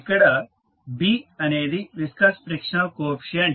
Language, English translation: Telugu, B is the viscous frictional coefficient